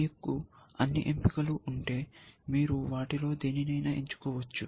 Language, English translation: Telugu, If you had an all choice, you could choose any one of them essentially